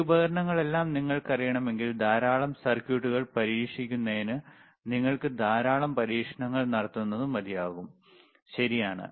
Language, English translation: Malayalam, This is the, i If you know this many items or this manyall these equipments, it is enough for you to run lot of experiments to test lot of circuits, all right